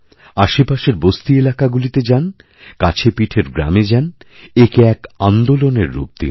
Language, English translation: Bengali, Go to settlements in your neighborhood, go to nearby villages, but do this in the form of a movement